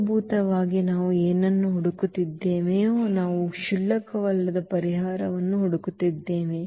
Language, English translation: Kannada, So, basically what we are looking for, we are looking for the non trivial solution